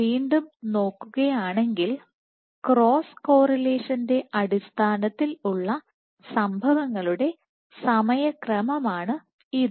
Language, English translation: Malayalam, So, this is, once again this is the time sequence of events in terms of cross correlation